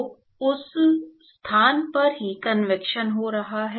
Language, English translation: Hindi, So, convection is happening only at that location